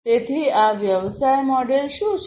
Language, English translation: Gujarati, So, what is this business model